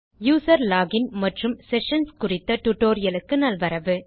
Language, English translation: Tamil, Welcome to the tutorial on user login and sessions